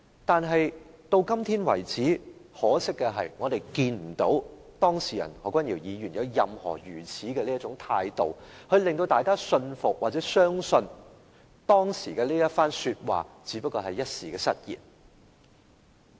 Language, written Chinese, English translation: Cantonese, 但是，到今天為止，很可惜的是我們看不到當事人何君堯議員有任何態度，令大家信服或相信他當時一番說話只是一時失言。, However very regrettably Dr Junius HO the person involved has so far done nothing to convince us or make us believe that the speech he made then is just a slip of tongue